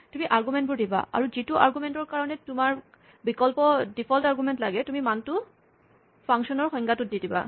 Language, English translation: Assamese, So, you provide the arguments, and for the argument for which you want an optional default argument, you provide the value in the function definition